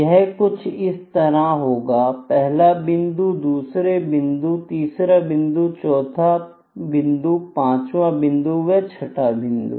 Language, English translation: Hindi, It can be like this, first point, second point, third point, fourth point, fifth point, sixth point it can be like this, ok